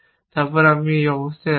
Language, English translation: Bengali, So, this is the state